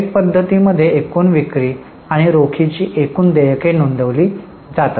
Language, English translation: Marathi, In the direct method, gross sales and gross payments of cash are reported